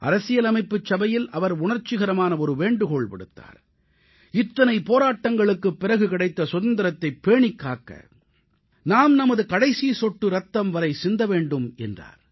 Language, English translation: Tamil, He had made a very moving appeal in the Constituent Assembly that we have to safeguard our hard fought democracy till the last drop of our blood